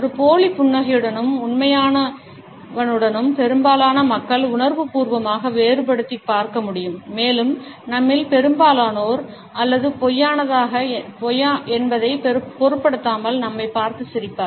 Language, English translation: Tamil, Most people can consciously differentiate between a fake smile and a real one, and most of us are content to someone is simply smiling at us, regardless of whether its real or false